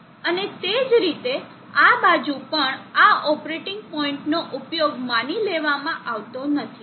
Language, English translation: Gujarati, And likewise, on this side also these operating points are not suppose to be used